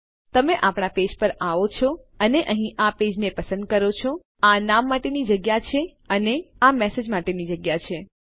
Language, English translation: Gujarati, So if you come to our page and choose this page here this is the space for the name and this is the space for the message